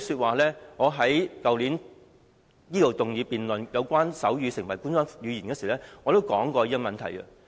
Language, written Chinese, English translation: Cantonese, 去年，我在立法會動議爭取手語成為官方語言的議案時，已經談論這個問題。, Last year the issue was already discussed in the debate on the motion moved by me to strive for making sign language an official language